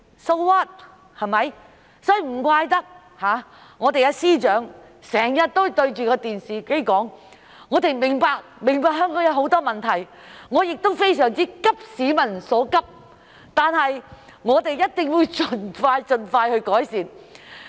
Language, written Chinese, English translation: Cantonese, 所以，難怪司長經常在電視上說："我們明白香港有很多問題，我亦非常急市民所急，我們一定會盡快改善。, So what? . Therefore no wonder the Chief Secretary for Administration has often made such remarks on the television We understand that there are a lot of problems in Hong Kong and I also share the publics urgent concerns . We would definitely make improvements as soon as possible